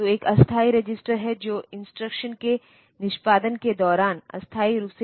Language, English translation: Hindi, So, there is a temporary register that holds data temporarily during execution of the instruction